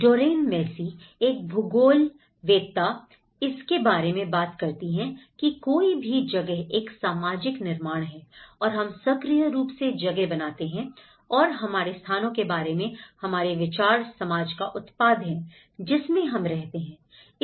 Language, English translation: Hindi, Doreen Massey, a geographer she talked about place is a social construct and we actively make places and our ideas of place are the products of the society in which we live